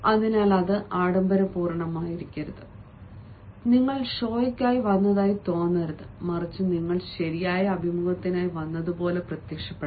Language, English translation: Malayalam, so it is better or not to be gaudy, not to be pompous, not to appear as if you have come for show, but appeared as if you have come for the right interview